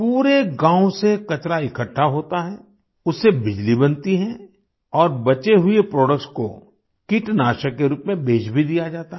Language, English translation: Hindi, The garbage is collected from the entire village, electricity is generated from it and the residual products are also sold as pesticides